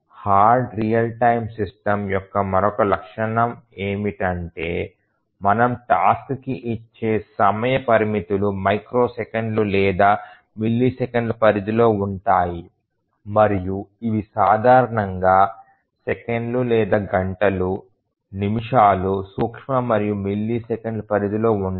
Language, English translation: Telugu, And the another characteristic of a hard real time systems is that the time restrictions that we give to the task are in the range of microseconds or milliseconds, these are not normally in the range of seconds or hours, minutes these are micro and milliseconds